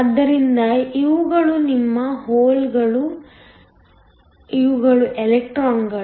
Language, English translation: Kannada, So, these are your holes, these are the electrons